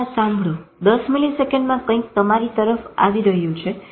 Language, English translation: Gujarati, Now listen to this 10 milliseconds if something comes towards you